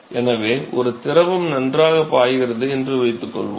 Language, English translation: Tamil, So, suppose we say that there is a fluid which is flowing ok